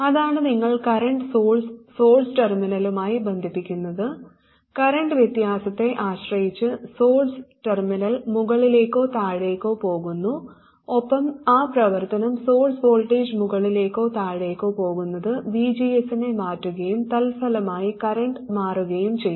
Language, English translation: Malayalam, That is, you connect the current source to the source terminal and depending on the current difference the source terminal goes up or down and that action the source voltage going up or down will change the VGS and consequently change the current